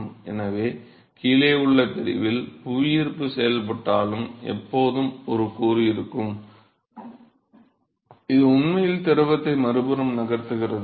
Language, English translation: Tamil, So, even though gravity is acting in section below there always be a component, which is actually make the fluid to move on the other side